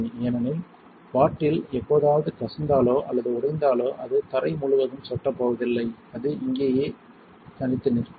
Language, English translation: Tamil, Because, if the bottle ever leaks or breaks it is not going to drip all over the floor it will stay isolated in here